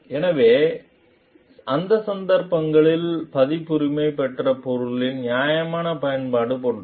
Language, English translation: Tamil, So, in that cases it is like a fair use of the copyrighted material